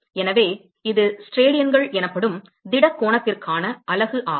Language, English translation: Tamil, So that is the unit for solid angle called steradians